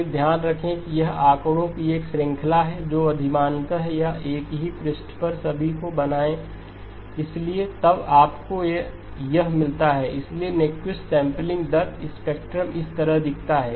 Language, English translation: Hindi, Again, keep in mind that this is a series of figures preferably or draw it all on the same page, so then you get the, so Nyquist sampling rate the spectrum looks like this